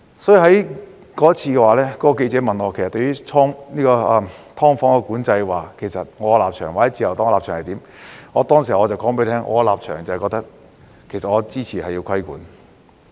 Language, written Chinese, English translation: Cantonese, 因此，當時該名記者問我對"劏房"管制的立場或自由黨的有關立場為何，我便說我的立場其實是支持實施規管。, Therefore when the journalist enquired about my position or the Liberal Partys position on the regulation of SDUs I said that I actually supported the imposition of such regulation